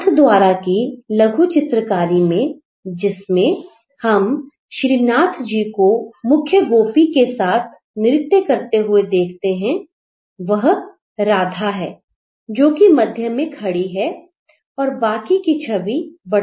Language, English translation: Hindi, In Nathdwara miniature painting where we see the image of Srinadji dancing with the main Gopini she is Rada right at the center and the image gets multiplied